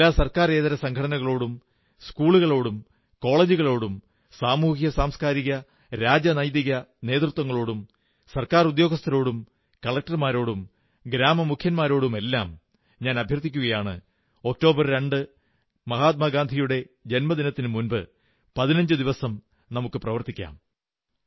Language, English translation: Malayalam, I urge all NGOs, schools, colleges, social, cultural and political leaders, people in the government, collectors and sarpanches, to begin creating an environment of cleanliness at least fifteen days ahead of Gandhi Jayanti on the 2nd of October so that it turns out to be the 2nd October of Gandhi's dreams